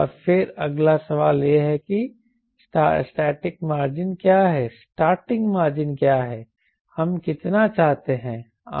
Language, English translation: Hindi, and then next question come is: what is the starting margin